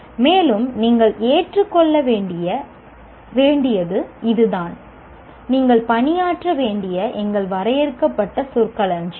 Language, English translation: Tamil, And that is what you have to accept because of our limited vocabulary that you have to work with